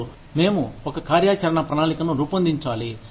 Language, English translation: Telugu, Then, we need to design, an action plan